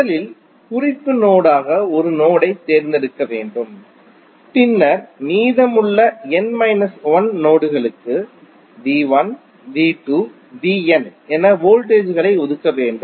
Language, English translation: Tamil, First you have to select a node as the reference node then assign voltages say V 1, V 2, V n to the remaining n minus 1 nodes